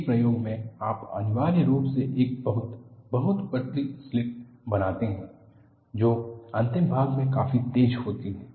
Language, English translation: Hindi, In an experiment, you essentially make a very very thin slit, sharp enough at the end